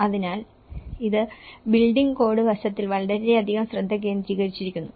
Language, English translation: Malayalam, So, it is very focused on the building code aspect